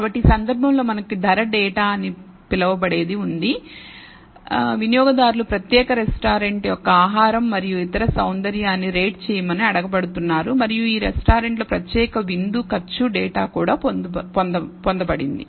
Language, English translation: Telugu, So, in this case we have what is called the price data where customers are being asked to rate the food and the other aesthetics of a particular restaurant and we also and cost of the particular dinner also data obtained for these restaurants